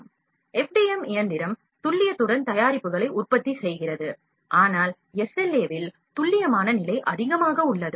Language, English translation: Tamil, About FDM and SLA, FDM machine produce products with the precision, but the precision level in SLA is higher